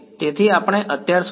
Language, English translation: Gujarati, So, far we